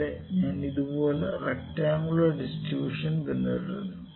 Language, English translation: Malayalam, This is another distribution like rectangular distribution that is triangular distribution